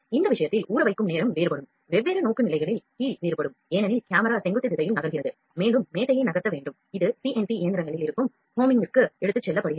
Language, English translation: Tamil, The soaking time in this case is differentiation, differentiation of the different orientations because the camera is moving in vertical direction and also the table has to be moved, it taken to homing that is there in CNC machines